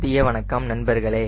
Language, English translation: Tamil, so good afternoon friends